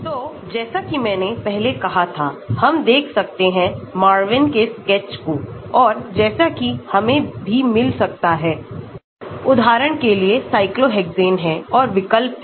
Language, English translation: Hindi, So, as I had mentioned before, we can look at the Marvin sketch and as we can also get the for example, this is cyclohexane and this is substitute at cyclohexane